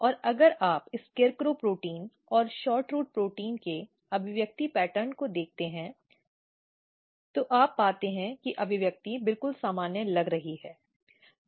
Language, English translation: Hindi, And if you look the expression pattern of SHORTROOT, SCARECROW protein and SHORTROOT protein, and what you find that the expression looks quite normal